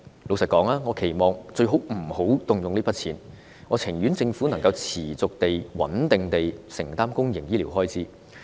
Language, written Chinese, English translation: Cantonese, 坦白說，我期望醫管局最好不要動用這筆錢，政府能夠持續穩定地承擔公營醫療開支。, To be frank I hope that HA will not have to use the money and the Government will continue to steadily undertake public health care expenditures